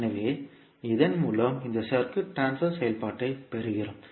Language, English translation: Tamil, So, with this we get the transfer function of this circuit